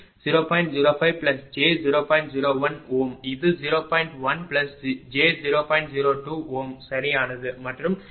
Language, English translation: Tamil, 02 ohm right and this one 0